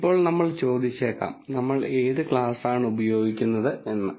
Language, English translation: Malayalam, Now we may ask, when do we use this